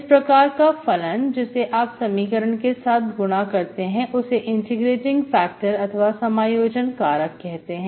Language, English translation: Hindi, So such a function which you multiply to the equation is called on integrating factor